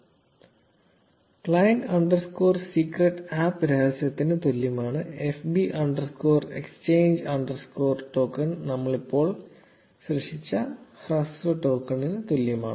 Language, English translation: Malayalam, And client underscore secret is equal to the APP secret and fb underscore exchange underscore token is equal to the short token that we just generated